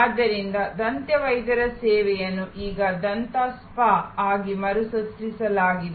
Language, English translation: Kannada, So, a dentist service is now recreated by the way as a dental spa